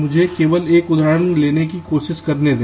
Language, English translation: Hindi, ok, let me just try to take an example